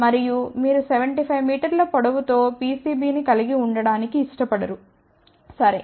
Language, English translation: Telugu, And you do not want to have a PCB with 75 meter length, ok